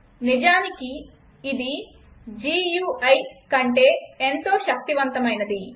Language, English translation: Telugu, In fact it is more powerful than the GUI